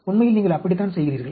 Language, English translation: Tamil, That is how you do have actually